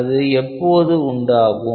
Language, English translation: Tamil, So, when can that happen